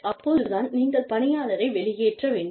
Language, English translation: Tamil, Should you discharge the employee